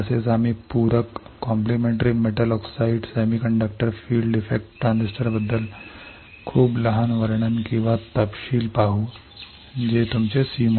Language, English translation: Marathi, Also we will see very short description or details about the complementary metal oxide semiconductor field effect transistor which is your c mos